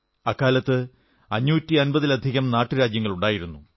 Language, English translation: Malayalam, There existed over 550 princely states